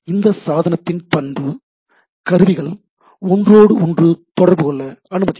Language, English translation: Tamil, The property of this device is allows it to communicate to one other